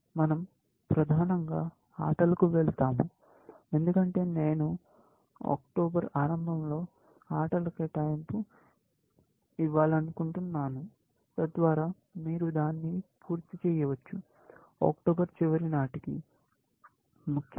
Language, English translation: Telugu, We will move to games primarily, because I want to give the games assignment in early October, so that, you can finish it by the end of October, essentially